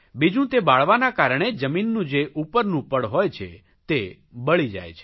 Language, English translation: Gujarati, Secondly because of burning this the top soil gets burnt